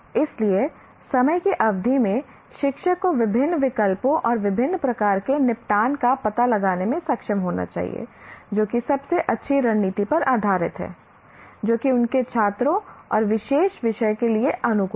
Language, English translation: Hindi, So the teacher over a period of time should be able to explore different alternatives and kind of settle on the best strategy that is suited for his students and for the particular subject